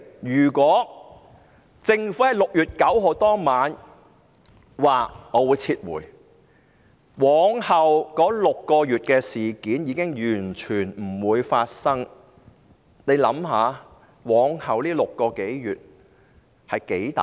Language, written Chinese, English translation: Cantonese, 如果政府在6月9日當晚表示撤回修例，便完全不會發生往後6個月的事。, If the Government said at the night of 9 June that it withdrew the legislative amendments all other incidents would not have happened in the subsequent six months